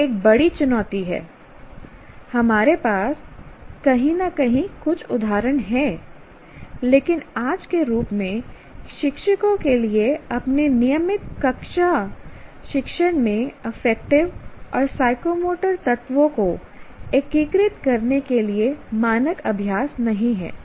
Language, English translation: Hindi, We don't have, while we do have some instances somewhere, but as of today, it is not standard practice for teachers to integrate affective and psychomotry elements into their regular classroom teaching